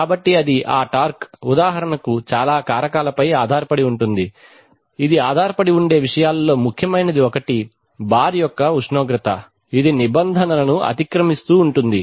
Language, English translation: Telugu, So that comes, that torque depends on a lot of factors for example, one of the important things on which it depends is the temperature of the bar which is biting into the rules